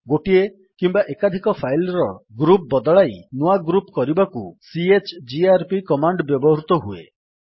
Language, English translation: Odia, chgrp command is used to change the group of one or more files to new group